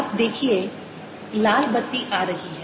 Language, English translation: Hindi, you see the red light coming